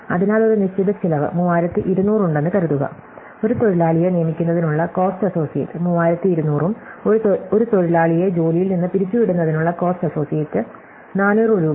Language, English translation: Malayalam, So, let us assume that there are some certain cost 3200 is the cost associate in hiring a worker and 4000 rupees is the cost associated with firing a worker